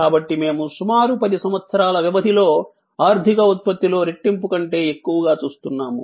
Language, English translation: Telugu, So, we were looking at more than doubling in the economic output over a span of about 10 years